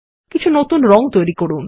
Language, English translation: Bengali, Create some new colors